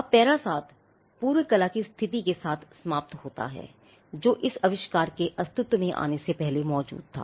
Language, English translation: Hindi, Now, para 7 ends with the state of the prior art, what is that existed before this invention came into being